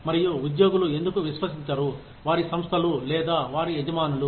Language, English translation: Telugu, And, why employees do not tend to trust, their organizations, or their employers